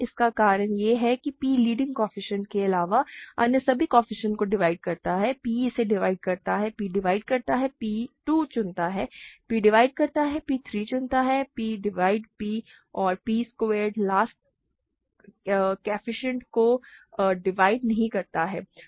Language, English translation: Hindi, This is because p divides all the coefficients other than the leading coefficient p divides this, p divides p choose 2, p divides p choose 3, p divides p and p squared does not divide the last coefficient, ok